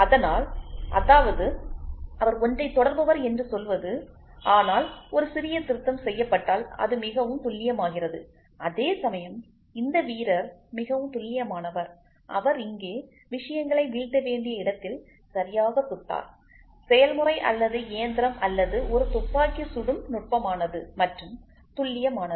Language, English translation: Tamil, So; that means to say he is precise, but if there is a small correction made then it becomes very accurate, whereas, this player is very accurate he exactly hits at the point where things have to fall here, the process or the machine or a shooter is precise and accurate